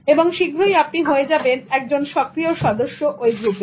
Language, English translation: Bengali, And sooner or later, you will also become a very active member of that group